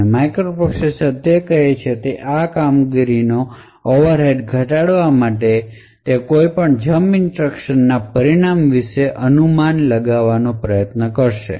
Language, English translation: Gujarati, So, in order to actually reduce these performance overheads what microprocessors do is they speculate about the result of a jump instruction